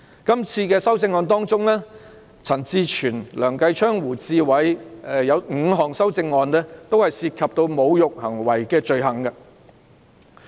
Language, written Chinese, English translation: Cantonese, 在這次的修正案中，陳志全議員、梁繼昌議員和胡志偉議員共有5項修正案涉及侮辱行為的罪行。, Among the amendments Mr CHAN Chi - chuen Mr Kenneth LEUNG and Mr WU Chi - wai have proposed a total of five amendments regarding the offence of insulting behaviour